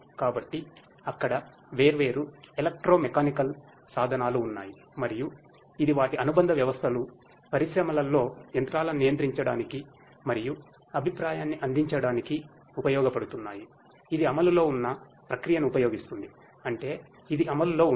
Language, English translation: Telugu, So, there are different electro mechanical instruments that are there and this their associated systems are used in the industries to control and offer feedback to the machinery that is used the process that is being implemented that is in process that means, it is being executed and so on